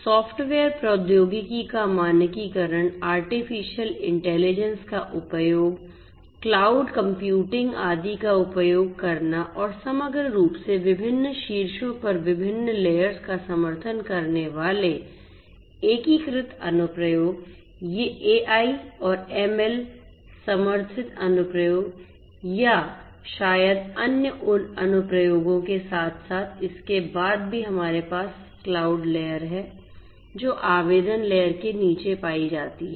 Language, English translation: Hindi, Standardization of software technology use of artificial intelligence, cloud computing, etcetera and to have overall integrated application supporting different layers at the very top would be these AI and ML supported applications or maybe standalone other applications as well and thereafter we have the cloud layer at the bottom of the application layer